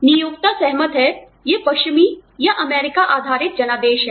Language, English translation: Hindi, Employers accord, again, you know, these are western, or US based mandates